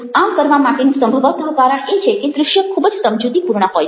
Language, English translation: Gujarati, there is possibly a reason for that: because visuals are very, very persuasive